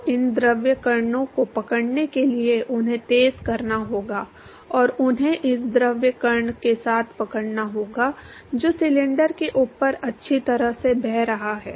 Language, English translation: Hindi, So, in order for it to catch up, these fluid particles, they have to accelerate and they have to catch up with this fluid particle which is flowing well above the cylinder